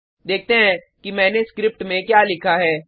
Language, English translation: Hindi, Let us look at what I have written inside this script